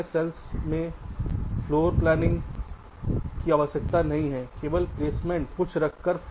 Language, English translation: Hindi, in standard cell, floor planning is not required, only placement placing something